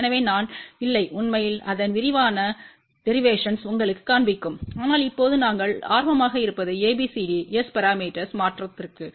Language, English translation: Tamil, So, I am not actually showing you the detailed derivation of that but what we are interested now, is ABCD to S parameter conversion